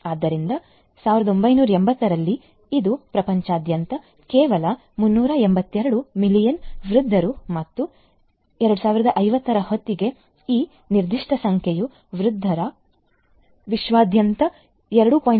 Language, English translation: Kannada, So, you see that 1980, it was only 382 million elderly persons all over the world and by 2050, this particular number of elderly persons is expected to grow to 2